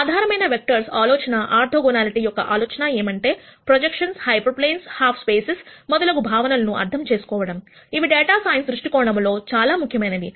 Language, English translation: Telugu, The notion of basis vectors, the notion of orthogonality to understand concepts such as projections, hyper planes, half spaces and so on, which all are critical from a data science viewpoint